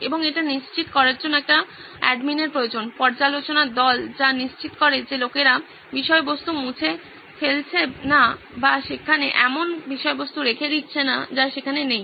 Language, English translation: Bengali, And it needs an admin for sure, review team which makes sure that, people are not deleting content or leaving it in there, putting in content that does not belong there